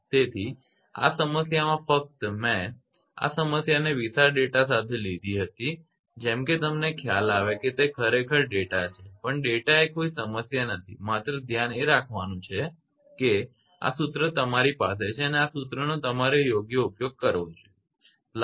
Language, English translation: Gujarati, So, in this problem just the I have taken this problem with huge data such that you have idea actually data; data are not a problem only thing is that this formula right you have to you have to keep it in your mind that this formula I should use right